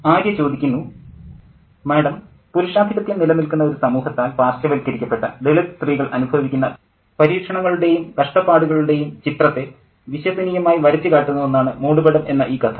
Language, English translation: Malayalam, Ma'am, the shroud is a faithful portrayal of the trials and tribulations underwent by Dalit women who are marginalized by a patriarchal society